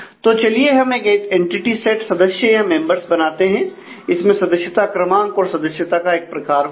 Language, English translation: Hindi, So, let us create an entity set members which has the member number and the member type